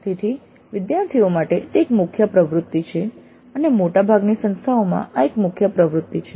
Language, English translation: Gujarati, So it is a major activity for the students and in most of the institutes this is a core activity